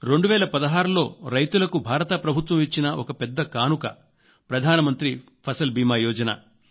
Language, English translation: Telugu, Government of India has given a very big gift to the farmers in 2016 'Pradhan Mantri Fasal Beema Yojana'